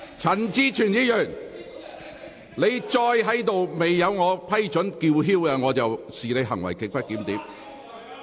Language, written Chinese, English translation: Cantonese, 陳志全議員，如果你未經我批准繼續高聲說話，我會視你為行為極不檢點。, Mr CHAN Chi - chuen if you continue to speak loudly without my permission I will regard your conduct as grossly disorderly